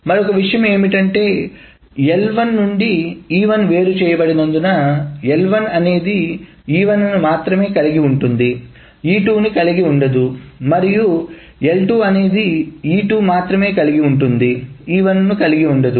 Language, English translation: Telugu, Other thing of course since L1 is separated out from E1, it should be the case that L1 involves only E1 and not E2 and L2 and L2 involves only E2 and not E1